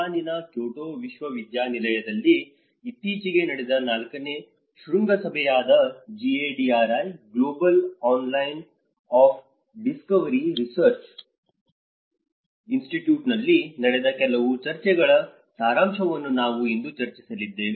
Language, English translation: Kannada, Today, we are going to discuss about some of the summary of the discussions which happened in the GADRI, Global Alliance of Disaster Research Institutes, the fourth summit which just recently happened in Kyoto University in Japan